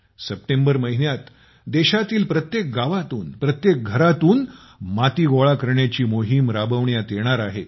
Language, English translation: Marathi, In the month of September, there will be a campaign to collect soil from every house in every village of the country